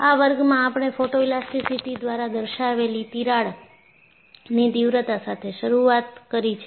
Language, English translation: Gujarati, So, in this class, we started with severity of the crack indicated by Photoelasticity